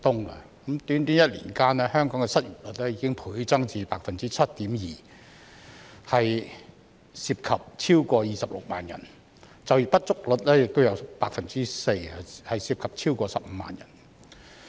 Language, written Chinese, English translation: Cantonese, 在短短1年間，香港的失業率已經倍增至 7.2%， 涉及超過26萬人，就業不足率亦有 4%， 涉及超過15萬人。, The unemployment rate in Hong Kong has doubled to 7.2 % in merely one year involving more than 260 000 people whereas the underemployment rate also stands at 4 % involving more than 150 000 people